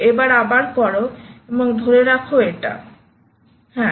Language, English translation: Bengali, now you do it again and hold it, yes, hold it, yes